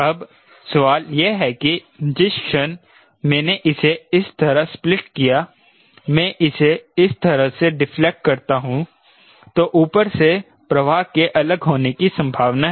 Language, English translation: Hindi, now the question is the moment i split it like this, i deflect it like this, there is the possibility of flow getting separated from the top